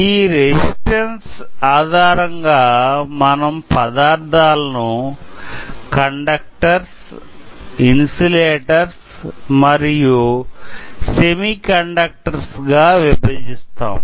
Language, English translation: Telugu, So based on resistance, we classify a materials as conductors, insulators